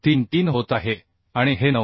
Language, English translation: Marathi, 33 and this is less than 9